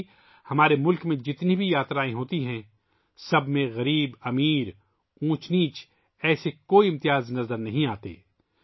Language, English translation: Urdu, Similarly, in all the journeys that take place in our country, there is no such distinction between poor and rich, high and low